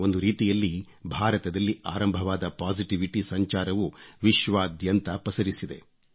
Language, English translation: Kannada, In a way, a wave of positivity which emanated from India spread all over the world